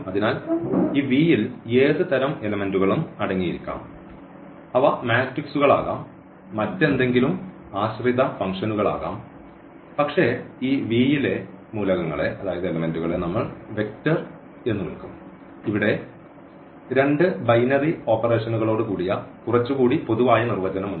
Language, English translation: Malayalam, So, they can be matrices they can be functions depending on what type of elements this V contain, but the elements of this V we will call vector, so, a little more general definition here and together with two binary operations